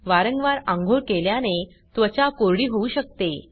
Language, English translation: Marathi, Frequent bathing may be drying to the skin